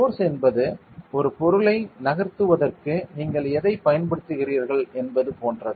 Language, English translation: Tamil, Force is like the force is what do you apply on an object to move it